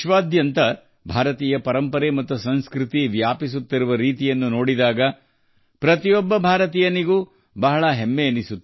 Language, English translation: Kannada, Every Indian feels proud when such a spread of Indian heritage and culture is seen all over the world